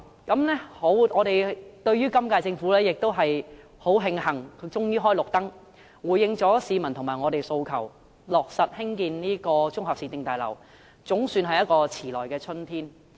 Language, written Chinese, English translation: Cantonese, 我們十分慶幸今屆政府終於開了綠燈，回應市民和我們的訴求，落實興建綜合市政大樓，總算是遲來的春天。, We are glad that the current - term Government has finally given the green light and confirmed the construction of a municipal services complex in response to public aspirations and ours . It can be considered a belated spring